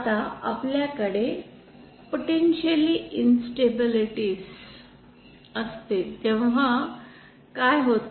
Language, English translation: Marathi, Now, what happens when we have a potentially instabilities